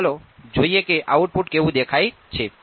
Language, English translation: Gujarati, So, let us see what the output looks like